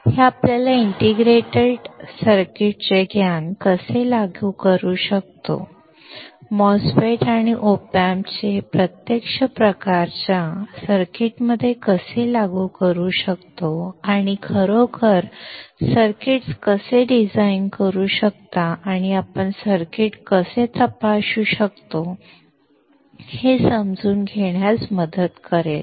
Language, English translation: Marathi, This will help you to understand how we can apply the knowledge of integrated circuits: MOSFETs and op amps into actual kind of circuits and how you can really design the circuits, and how you can check the circuits